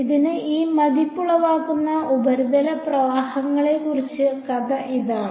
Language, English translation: Malayalam, So, that is the story so, far about these impressed surface currents